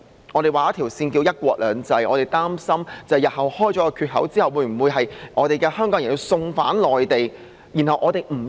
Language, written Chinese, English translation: Cantonese, 我們有一條界線名為"一國兩制"，我們擔心打開缺口之後，香港人日後會否被送返內地受審？, There is a boundary called one country two systems . We are worried that once a gap is opened Hongkongers may be surrendered to the Mainland to stand trials